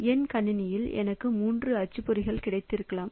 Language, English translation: Tamil, So, maybe in my system I have got 3 printers